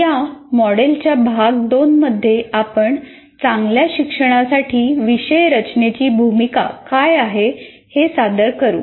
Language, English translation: Marathi, In Unit 2 of this module, we present the role of course design in facilitating good learning